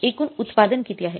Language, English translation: Marathi, So, what is the total output